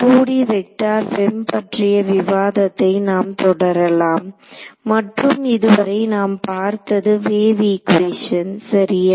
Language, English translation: Tamil, So, we will continue with our discussion of 2D vector FEM and what we have so far is the wave equation right